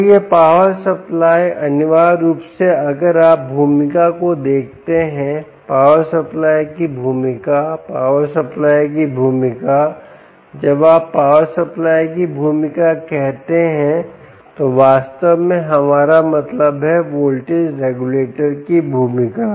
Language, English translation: Hindi, so this power supply essentially, if you look at the role, role of the power supply, role of the power supply when you say role of the power supply, we actually mean the role of the voltage regulator, because you dont want to see in a noisy and in a jittery power in the power supply